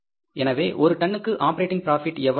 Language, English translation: Tamil, So the operating profit per ton is going to be how much